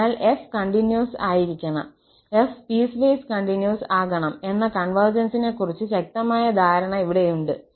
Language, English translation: Malayalam, So, we have here the stronger notion of convergence that f has to be continuous and f prime has to be piecewise continuous